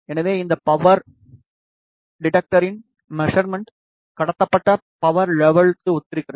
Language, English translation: Tamil, So, the measurement of this power detector corresponds to transmitted power level